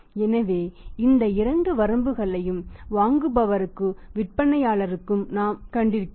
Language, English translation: Tamil, So, these two limitations we have seen for the buyer as well as the seller also